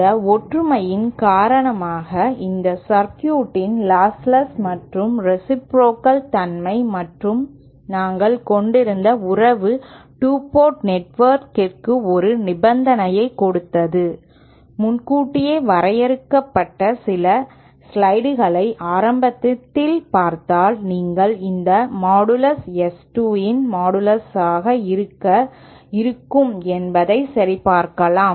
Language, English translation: Tamil, And this similarity is because of this the lostless and reciprocal nature of this circuit and due to the relationship that we had give it a condition for 2 port network just we that had derived earlier a few slides early you can verify them that this modulus of this will be same as the modulus of S 2